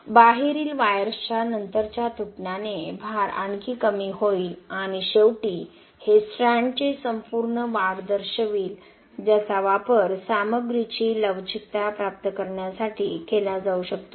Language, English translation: Marathi, And with subsequent breakage of the outer wires load is further dropped and finally this will indicate your total elongation of the strand which can be used to obtain the ductility of the material